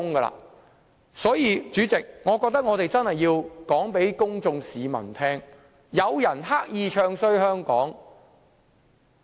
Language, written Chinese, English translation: Cantonese, 代理主席，我覺得我們真的要告訴市民大眾，有人刻意"唱衰"香港。, Deputy President I think we really have to tell the public that there are people deliberately bad - mouthing Hong Kong